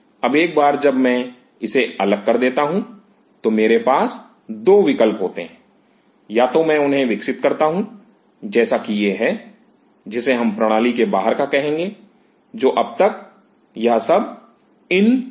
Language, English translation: Hindi, Now once I isolate this I have 2 options, either I just grow them as it is which we will call as outside the system now up to this, this was all inside which is in vivo